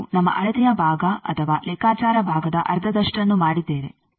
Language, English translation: Kannada, So, we have done half of our measurement part or calculation part